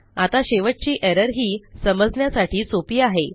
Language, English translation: Marathi, Now, the last one is extremely simple